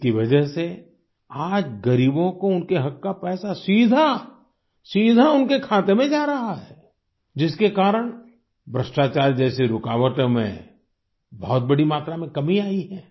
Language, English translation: Hindi, Today, because of this the rightful money of the poor is getting credited directly into their accounts and because of this, obstacles like corruption have reduced very significantly